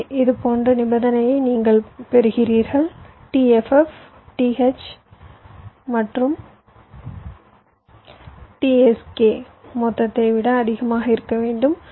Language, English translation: Tamil, so you get ah condition like this: t f f should be greater than t h plus t s k